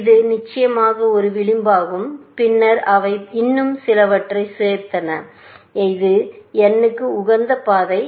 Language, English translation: Tamil, This of course, is one edge and then, they added some more; that is the optimal path to n